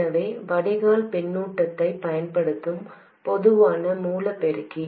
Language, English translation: Tamil, So, the common source amplifier using drain feedback